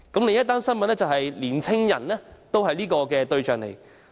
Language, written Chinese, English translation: Cantonese, 另一則新聞指出年輕人也是行騙對象。, It was pointed out in another news report that young people were also the targets of frauds